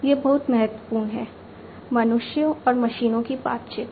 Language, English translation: Hindi, This is very critical, humans and machines interacting